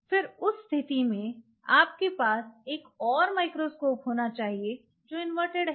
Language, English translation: Hindi, Now in that case you will have to have a microscope which is upright